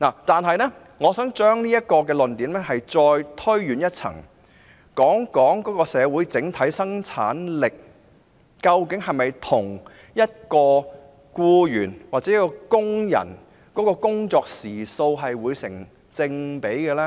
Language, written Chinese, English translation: Cantonese, 然而，我想將這論點推展至更高層次，談談社會的整體生產力：究竟僱員的生產力是否與其工作時數成正比呢？, Nevertheless I wish to raise this argument to a higher level by talking about the overall productivity of society . Is the productivity of employees proportional to their working hours?